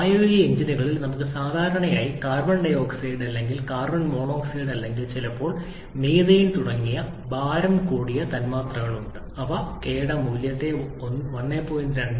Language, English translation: Malayalam, In practical engines, we generally have heavier molecules like carbon dioxide or carbon monoxide or sometimes methane etc which have much lower value of k in the range of 1